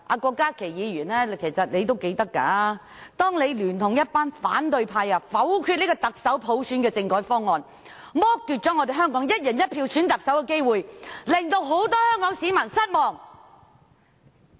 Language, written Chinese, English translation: Cantonese, 郭議員應該還記得，當時他聯同一群反對派議員否決特首普選的政改方案，剝奪了香港"一人一票"選特首的機會，令到很多香港市民失望。, Dr KWOK should remember that he together with a group of Members of the opposition camp has voted against the constitutional reform proposals for electing the Chief Executive by universal suffrage back then thus depriving Hong Kong of the opportunity to elect the Chief Executive on a one person one vote basis and bringing disappointment to many people in Hong Kong